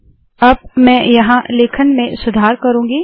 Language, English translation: Hindi, Then, now I am going to improve the writing here